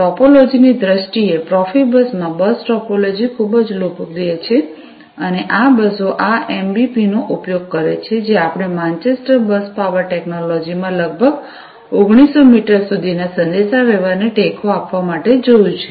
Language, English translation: Gujarati, In terms of the topology, the bus topology is very popular in Profibus and these buses use this MBP, that we have seen earlier at Manchester Bus Power Technology, to support communication of, up to about 1900 meters